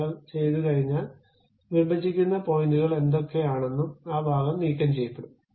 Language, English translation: Malayalam, Once you are done, whatever those intersecting points are there, that part will be removed